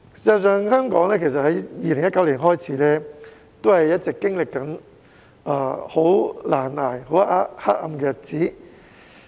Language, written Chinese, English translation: Cantonese, 事實上，香港自2019年起一直經歷難捱、黑暗的日子。, In fact Hong Kong has been experiencing difficult and dark days since 2019